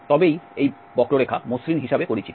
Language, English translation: Bengali, Then the curve is known as smooth